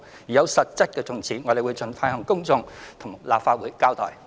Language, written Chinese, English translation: Cantonese, 如有實質進展，我們會盡快向公眾並到立法會交代。, Once concrete progress is made we will make it known to the public and report to the Legislative Council